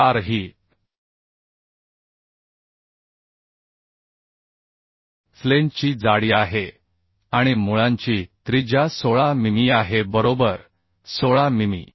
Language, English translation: Marathi, So 25 into 114 is the thickness of flange and root radius is 16 mm, So this is becoming 685 mm, right